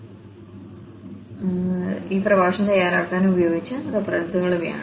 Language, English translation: Malayalam, Well, so, these are the references used for preparing this lecture